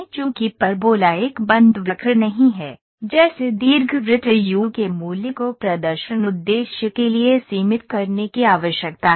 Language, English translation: Hindi, Since the parabola is not a closed curve like an ellipse the value of u needs to be limited for the display purpose